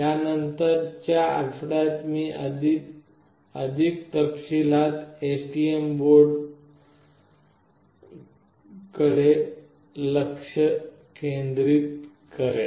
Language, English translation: Marathi, In the subsequent week I will be focusing on the STM board in more details